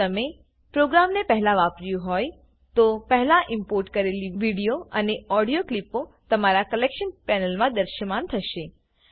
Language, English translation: Gujarati, If you have used the program before, the video and audio clips that were previously imported will appear in your Collection panel